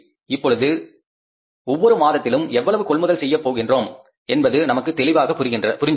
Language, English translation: Tamil, We know then how much we are going to purchase over these different months